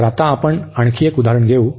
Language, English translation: Marathi, So, we will take another example now